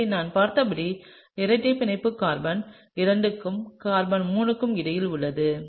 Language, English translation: Tamil, So, as we have seen the double bond is between carbon 2 and carbon 3